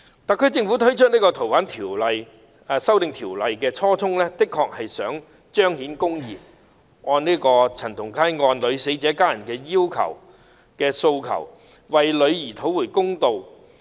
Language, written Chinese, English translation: Cantonese, 特區政府提出修訂《逃犯條例》的初衷，的確是為了彰顯公義，按陳同佳案女死者家人的訴求，為其女兒討回公道。, The original intent of the SAR Government in proposing to amend FOO was indeed to ensure that justice would be done and that in accordance with the pleads of the family members of the girl killed in the CHAN Tong - kai case justice would be done to their dead daughter